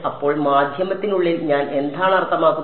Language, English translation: Malayalam, So, what do I mean by inside the medium